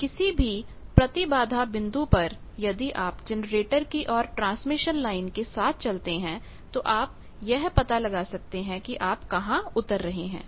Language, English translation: Hindi, So, any impedance point if you move along the transmission line towards the generator you can find out where you are landing up